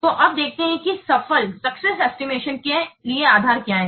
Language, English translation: Hindi, So, this will form the basis for the successful estimation